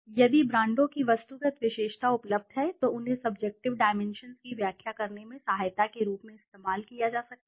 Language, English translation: Hindi, If objective characteristic of the brands are available these could be used as an aid in interpreting the subjective dimensions